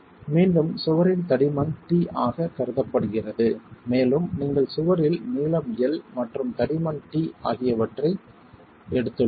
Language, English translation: Tamil, Again, the thickness of the wall is considered as T and as you can see we have taken length L and thickness T in the wall